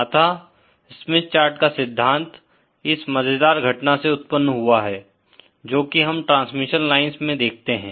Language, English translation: Hindi, So, the concept of Smith chart arises from this interesting phenomenon that we see in transmission lines